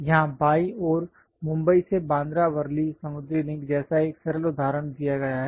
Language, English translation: Hindi, Here, on the left hand side a simple example like Bandra Worli sea link from Mumbai is shown